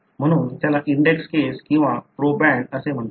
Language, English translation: Marathi, So, that is called as the index case, or the proband